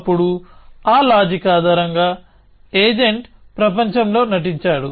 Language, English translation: Telugu, Then, based on that reasoning the agent does acting in the world